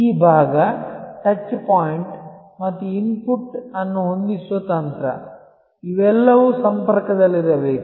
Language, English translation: Kannada, This part, the touch point and the strategy setting the input, they all must remain connected